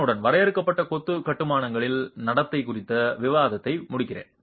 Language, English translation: Tamil, With that I conclude the discussion on the behavior of confined masonry constructions